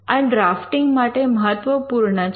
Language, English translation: Gujarati, Now this is important in drafting